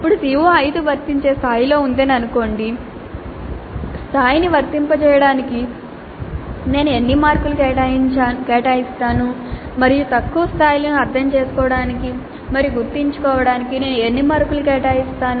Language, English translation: Telugu, Then how many marks do I allocate to apply level and how many marks do I allocate to apply level and how many marks do I allocate to lower levels of understand and remember